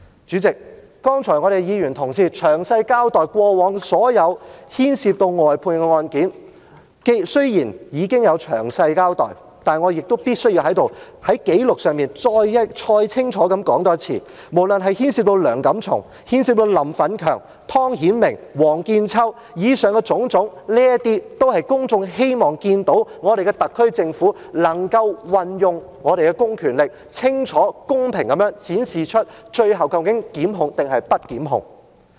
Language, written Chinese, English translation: Cantonese, 主席，剛才議員同事詳細交代過往所有牽涉交由外判律師處理的案件，雖然已經有詳細交代，但我亦必須在此，在紀錄上再清楚說出，無論是牽涉梁錦松，牽涉林奮強、湯顯明或王見秋，以上種種，都是公眾希望看到，特區政府運用公權力，清楚公平地展示出最後究竟檢控還是不檢控的決定？, President although Honourable colleagues have earlier explained in detail all the past cases involving counsels on fiat I still have to make it clear on the record that all the aforesaid cases no matter involving Mr Antony LEUNG Mr Franklin LAM Mr Timothy TONG or Mr Michael WONG reflect the publics aspiration that the SAR Government exercises its public powers to clearly and fairly disclose the final decision to prosecute or not